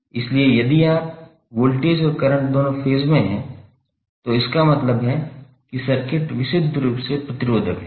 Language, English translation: Hindi, So if both voltage and current are in phase that means that the circuit is purely resistive